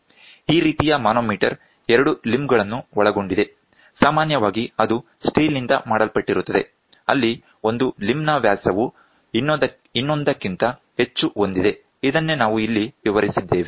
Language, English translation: Kannada, This type of manometer consists of 2 limbs, often made of steel where one limb is of much larger diameter than the other so; this is what we have explained here